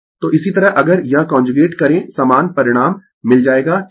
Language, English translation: Hindi, So, similarly if you do this conjugate same same result you will get right